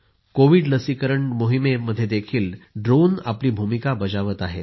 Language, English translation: Marathi, Drones are also playing their role in the Covid vaccine campaign